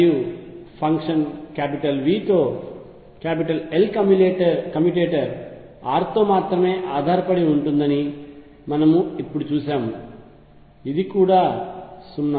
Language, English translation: Telugu, And we have just seen that L commutator with function V with that depends only on r it is also 0